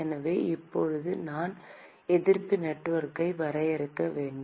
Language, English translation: Tamil, So, now, I need to draw the resistance network